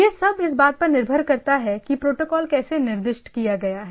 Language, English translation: Hindi, So, that all depends on that how this protocol is specified